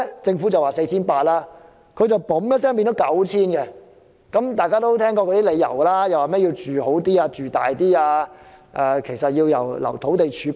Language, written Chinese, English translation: Cantonese, 政府說需要 4,800 公頃土地，他們卻說需要 9,000 公頃，原因是要讓人住得更好，又要預留土地儲備等。, When the Government said that 4 800 hectares of land was needed they raised the number to 9 000 hectares for the reasons of enabling people to live more comfortably and setting aside land reserves